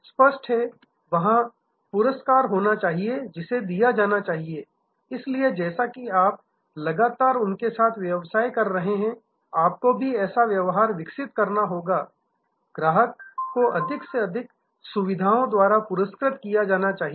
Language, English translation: Hindi, Obviously, there must be rewards, there must be given take therefore, as you are continuously getting their business, you must also develop, give more and more facilities rewards to the customer